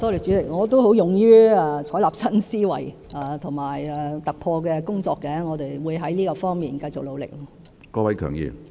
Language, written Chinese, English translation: Cantonese, 主席，我也勇於採納新思維和突破的工作，我們會在這方面繼續努力。, President I am quite used to plucking up the courage to think out of the box and make breakthroughs at work . We will continue to work hard in this respect